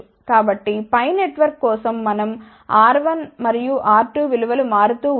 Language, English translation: Telugu, So, for the pi network we had seen the values of R 1 and R 2 varying